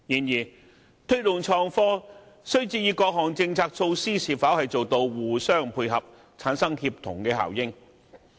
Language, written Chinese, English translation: Cantonese, 要推動創科，各項政策措施必須互相配合，產生協同效應。, To promote innovation and technology various policy initiatives must complement one another to achieve synergy